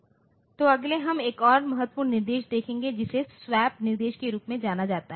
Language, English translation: Hindi, So, next we look into another important instruction which is known as the swap instruction